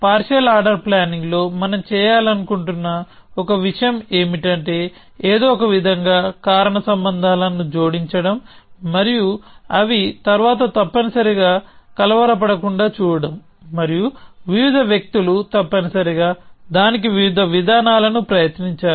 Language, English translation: Telugu, And one of the things that we would want to do in partial order planning is to somehow add causal links and see that they are not disturbed later essentially and various people have tried various approaches to that essentially